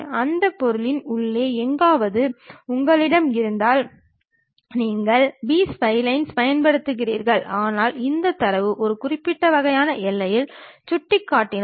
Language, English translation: Tamil, Somewhere inside of that object you have it then you use B splines, but if these data points on one particular kind of boundary